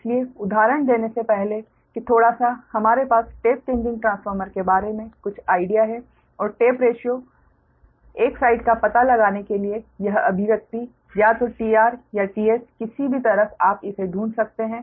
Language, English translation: Hindi, so, ah, before give the example that little bit, we have some ideas regarding tap changing transformer and this expression of to to find out the tap ratio, one side, either t s or t r, any side you find it out